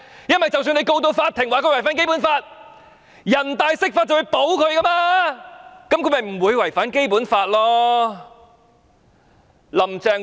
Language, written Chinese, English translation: Cantonese, 因為即使入稟法庭控告她違反《基本法》，人大常委會會釋法保護她，那樣她便不會違反《基本法》了。, Because even if we file a case in court against her for violating the Basic Law NPCSC will make an interpretation to protect her such that she in this way will never violate the Basic Law